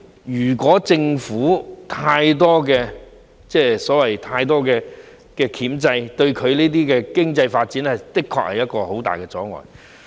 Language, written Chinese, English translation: Cantonese, 如果政府對跳蚤市場有太多箝制，這對地區經濟發展的確會造成很大的阻礙。, If the Government imposes too many restrictions on flea markets the development of neighbourhood economy will certainly be significantly hindered